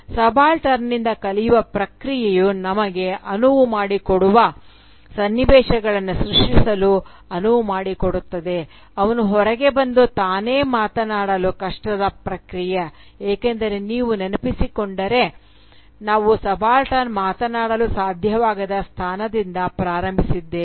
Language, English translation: Kannada, The process of learning from the subaltern that will enable us to create the enabling circumstances, for her to come out and speak for herself, is a difficult process because, if you remember, we are starting from a position where the subaltern cannot speak